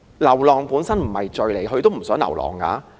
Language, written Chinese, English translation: Cantonese, 流浪本身並不是罪，牠也不想流浪。, Straying itself is not a sin and it is not their wish to become stray animals